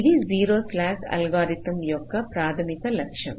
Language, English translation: Telugu, this is the basic objective of the zero slack algorithm